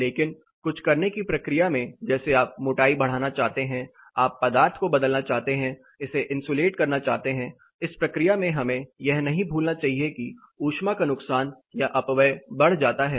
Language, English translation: Hindi, But in the process of doing something say you want to increase the thickness, you want to change the material insulate, in this process we should also not forget by doing that the heat loss or the dissipation also increases